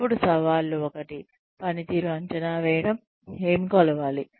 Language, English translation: Telugu, Then, the challenges, to appraising performance are, one is, what to measure